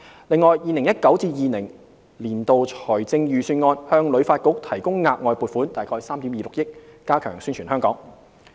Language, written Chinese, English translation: Cantonese, 另外 ，2019-2020 年度財政預算案向旅發局提供額外撥款約3億 2,600 萬元，加強宣傳香港。, In addition the Government allocated additional funding of around 326 million in the 2019 - 2020 Budget to HKTB to strengthen the promotion of Hong Kong